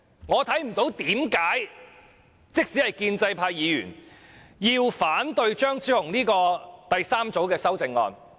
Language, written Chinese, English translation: Cantonese, 我看不到即使是建制派議員有甚麼原因反對張超雄議員的第三組修正案。, I fail to see why Members of the pro - establishment camp oppose the third group of amendment proposed by Dr Fernando CHEUNG